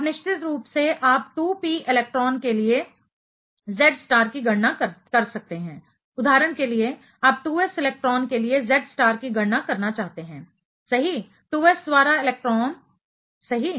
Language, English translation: Hindi, You of course, you can calculate the Z star for 2p electron, just for example, you want to calculate the Z star for 2s electron right; 2s second electron right